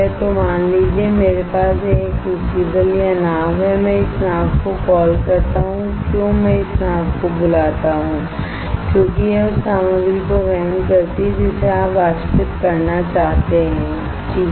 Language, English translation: Hindi, So, suppose I have this crucible or boat right I call this boat why I call this boat because it carries the material that you want to evaporate right